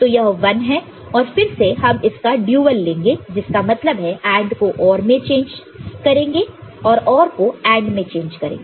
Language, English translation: Hindi, This is the one and again you take dual of it; that means, change AND to OR and OR to AND